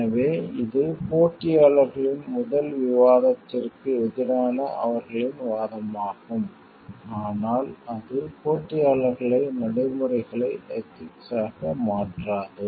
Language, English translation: Tamil, So, that is their argument for the competitors argument for the against the first, but also that does not make the competitors like practices ethical